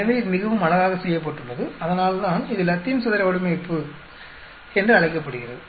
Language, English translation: Tamil, So, it is very beautifully done that is why it is called Latin square design